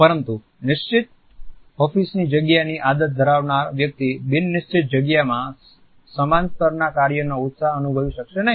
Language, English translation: Gujarati, But a person who has been used to a fixed office space may not feel the same level of work enthusiasm in a non fixed space